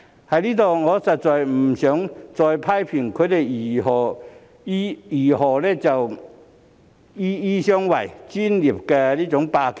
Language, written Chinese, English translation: Cantonese, 我在此實在不想再去批評他們如何"醫醫相衞"、"專業霸權"。, I do not want to criticize on doctors shielding each other and the hegemony of the medical profession here anymore